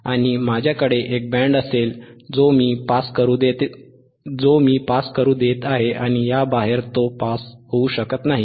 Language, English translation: Marathi, I have a band which allowing to pass, outside this it cannot pass